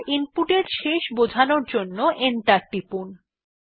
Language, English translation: Bengali, Now press Enter key to indicate the end of input